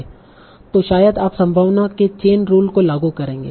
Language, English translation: Hindi, So you will probably apply the chain rule of probability